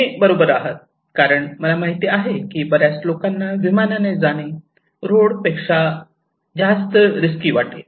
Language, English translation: Marathi, Yes, you were right, I know, most of the people think that going by air is risky than by road